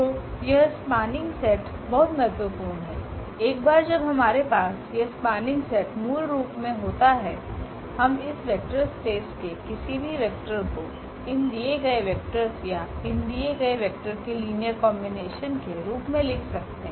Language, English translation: Hindi, So, this is spanning set is very important once we have this spanning set basically we can write down any vector of that vector space in terms of these given or as a linear combination of these given vectors